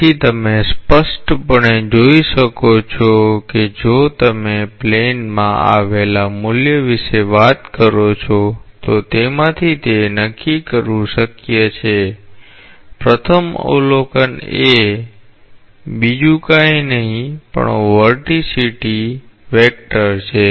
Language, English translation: Gujarati, So, you can clearly see that if you talk about the value in a plane, it is possible to make out from this that first observation is this is nothing but the vorticity vector